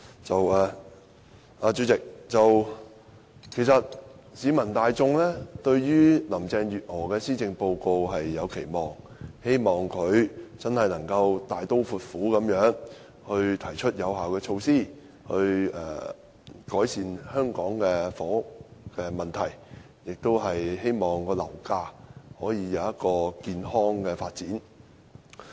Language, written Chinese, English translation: Cantonese, 代理主席，市民大眾對於林鄭月娥的施政報告有期望，希望她能大刀闊斧地提出有效措施，改善香港的房屋問題，讓樓價能健康發展。, Deputy Chairman members of the public have expectations on the Policy Address of Carrie LAM hoping that she will boldly propose effective measures to address the housing problem of Hong Kong and facilitate the healthy development of the property market